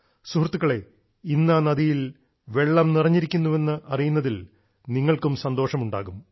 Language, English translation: Malayalam, Friends, you too would be glad to know that today, the river is brimming with water